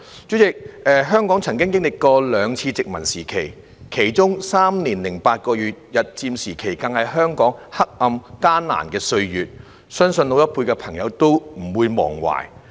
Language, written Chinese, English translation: Cantonese, 主席，香港曾經歷兩次殖民時期，其中"三年零八個月"日佔時期更是香港黑暗、艱難的歲月，相信老一輩的朋友都不會忘懷。, President Hong Kong has experienced two colonial periods . Among them the three - year - and - eight - month period under Japanese occupation was a dark and difficult time for Hong Kong which I believe the older generation will never forget